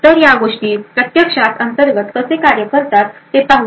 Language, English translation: Marathi, So, let us see how these things actually work internally